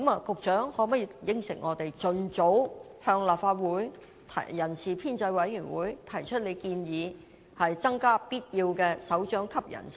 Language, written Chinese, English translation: Cantonese, 局長可否答應我們，盡早向立法會人事編制小組委員會提出建議，增加必要的首長級人手？, Can the Secretary promise us that it will submit a proposal as soon as possible to the Establishment Subcommittee of the Legislative Council on creating any additional directorate posts required?